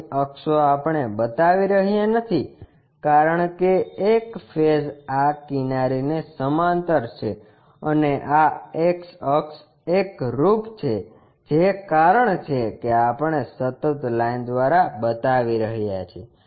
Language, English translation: Gujarati, Here axis we are not showing because one of the face is parallel this edge and this x axis, ah axis, coincides that is the reason we are showing by a continuous line